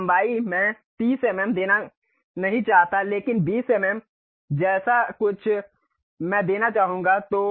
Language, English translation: Hindi, Then length I do not want to give 30 mm, but something like 20 mm I would like to give